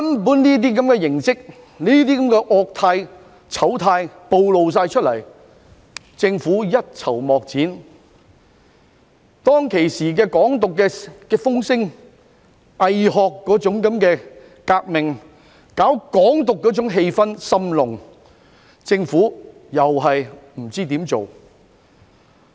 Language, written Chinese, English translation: Cantonese, 面對這些惡態、醜態全部暴露出來，政府卻一籌莫展；面對當時"港獨"風聲中"偽學"革命和搞"港獨"的氣氛甚濃，政府亦不知如何處理。, In the face of such blatant ugly moves the Government could find no way out; in the face of the strong atmosphere promoting bogus academic revolution and Hong Kong independence back then the Government did not know what to do either